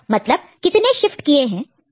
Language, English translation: Hindi, So, how many shifts are there